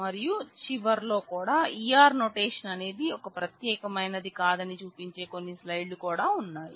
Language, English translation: Telugu, And at the end also there are few slides which show you that the E R notation itself is not a unique one